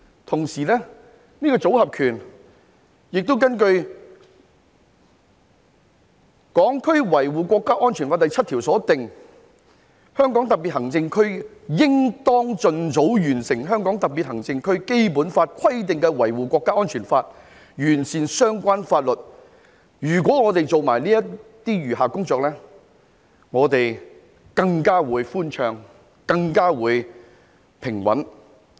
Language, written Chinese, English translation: Cantonese, 此外，關於這套"組合拳"，根據《香港國安法》第七條所訂，"香港特別行政區應當儘早完成香港特別行政區基本法規定的維護國家安全立法，完善相關法律"，如果我們做好這些餘下的工作，我們的道路便會更寬暢、更平穩。, In addition with respect to this set of combination punches Article 7 of the Hong Kong National Security Law stipulates that the Hong Kong Special Administrative Region shall complete as early as possible legislation for safeguarding national security as stipulated in the Basic Law of the Hong Kong Special Administrative Region and shall refine relevant laws . If we complete these remaining tasks properly the road ahead will be smoother and more stable